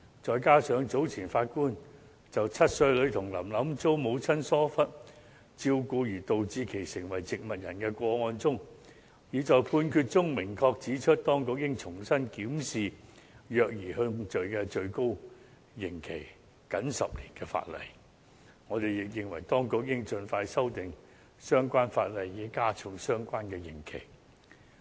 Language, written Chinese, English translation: Cantonese, 再加上早前7歲女童"林林"遭母親疏忽照顧而導致成為植物人的個案中，法官已在判決中明確指出，當局應重新檢視虐兒控罪最高刑期僅10年的法例，我們亦認為當局應盡快修訂相關法例以加重刑期。, In the judgment of the case of seven - year - old girl Lam Lam abused by her mother to the point of vegetative state the Judge clearly pointed out that the Administration should examine the maximum term of imprisonment of 10 years imposable for child abuse . We also believe that the Administration should amend the legislation expeditiously to increase the penalty